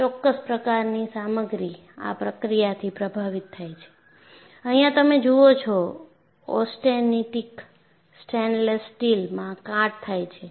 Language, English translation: Gujarati, And certain kind of material, gets affected by this process, you, find here, austenitic stainless steel gets corroded in this manner, and what happens in this